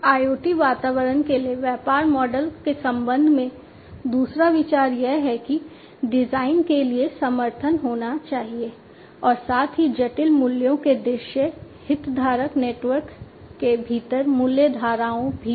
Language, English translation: Hindi, The second consideration with respect to the business models for IoT environments is that there should be support for design as well as the visualization of complex values is value streams within the stakeholder network